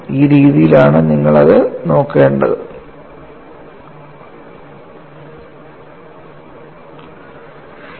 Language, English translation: Malayalam, So that is the way you have to look at it